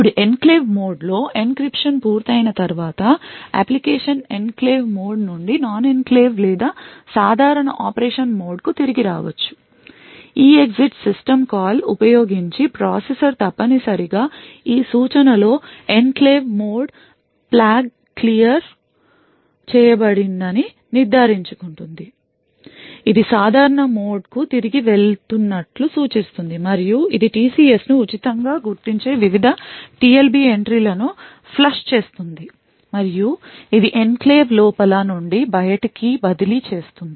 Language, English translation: Telugu, Now after the encryption is complete in the enclave mode the application could return from the enclave mode to the non enclave or the normal mode of operation using the EEXIT system call essentially in this instruction the processor will ensure that the enclave mode flag is cleared which will actually indicate that it is going back to the normal mode and also it will flush the various TLB entries it will mark the TCS as free and it will transfer the control from inside the enclave to outside the enclave